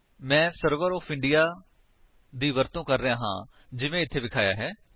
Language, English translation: Punjabi, I am using Server for India as shown here